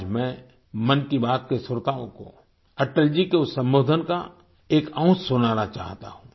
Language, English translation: Hindi, Today I want to play an excerpt of Atal ji's address for the listeners of 'Mann Ki Baat'